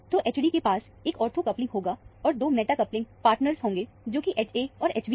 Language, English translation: Hindi, So, H d will have a ortho coupling, and two meta coupling partners, H a and H b